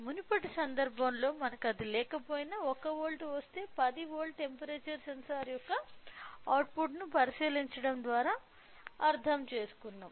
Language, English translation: Telugu, So, we are by looking into the output say if I get 1 volt which mean that we can understand the temperature sensor of 10 volts